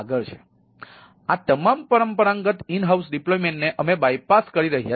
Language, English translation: Gujarati, so all these traditional in house deployments we have, we bypass this